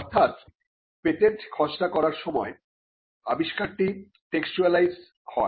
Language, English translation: Bengali, So, the invention is textualized when you draft a patent